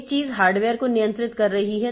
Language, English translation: Hindi, One thing is controlling the hardware